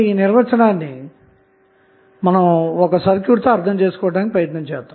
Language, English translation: Telugu, So, let us understand this definition with 1 circuit